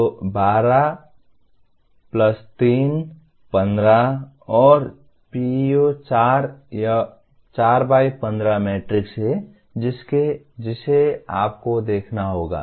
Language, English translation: Hindi, So 12+3, 15 and PEO 4 it is a 4 by 15 matrix that you have to see